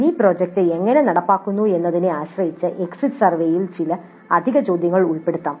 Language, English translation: Malayalam, Depending upon how the mini project is implemented, some additional questions can be included in the exit survey